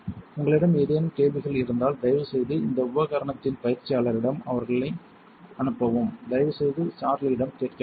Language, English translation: Tamil, If you have any questions please direct them to the trainer of this equipment please do not ask Charlie